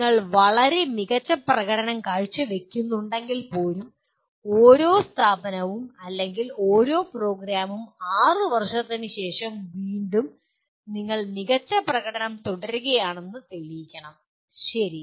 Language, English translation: Malayalam, But even if you are performing extremely well, one every institute or every program has to come back after 6 years to prove that you are continuing to do well, okay